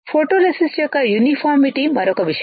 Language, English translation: Telugu, Uniformity of the photoresist is another thing